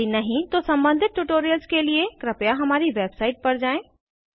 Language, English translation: Hindi, If not, watch the relevant tutorials available at the following link